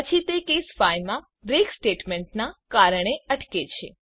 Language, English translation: Gujarati, Then it stops because of the break statement in case 5